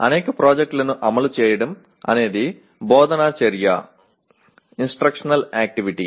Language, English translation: Telugu, Executing many projects is instructional activity